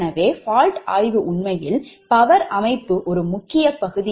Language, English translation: Tamil, so so fault study is actually an important part of power system analysis